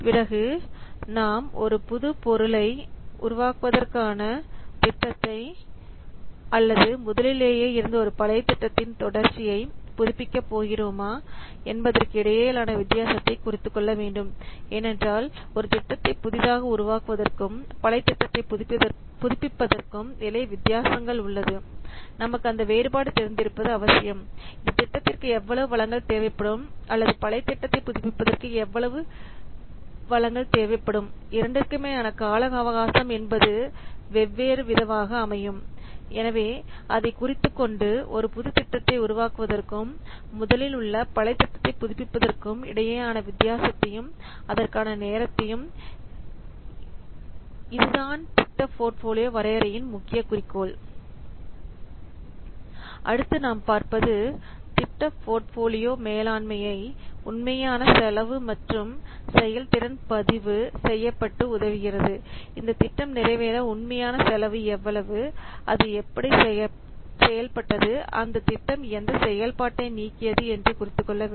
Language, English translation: Tamil, Then we have to note the difference between the new product development projects and renewal projects that whether because see there is sufficient difference between developing a project newly and just on project they are renewing that updating that so we must have to difference because the resources required by both the projects new product development and the renewal they will be different the time required the effort required will be different for developing a new product development as well as renewal of projects so we have to note down the difference between the new product development and the renewal of projects so project portfolio definition aims at its objective is these things then we'll see see project portfolio management